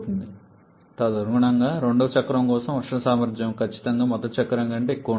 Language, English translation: Telugu, And accordingly, the thermal efficiency for the second cycle will definitely be greater than the first cycle